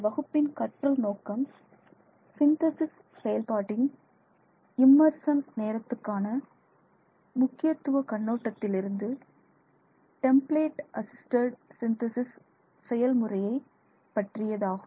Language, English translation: Tamil, So, our learning objectives for this class is to look at the temperate assisted synthesis process from the perspective of its impact of immersion time on the synthesis process, the impact of immersion time on the synthesis process